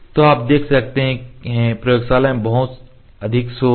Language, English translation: Hindi, So, you can see in laboratory conditions is a lot of noise ok